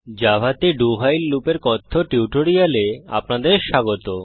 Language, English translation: Bengali, Welcome to the spoken tutorial on do while Loop in java